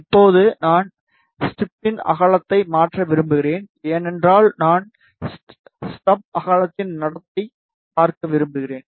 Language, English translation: Tamil, Now, I want to change the width of the stub, because I want to see the behavior of the stub width